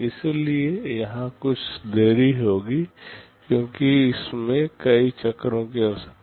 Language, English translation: Hindi, So, there will be some delay here because it is requiring multiple cycles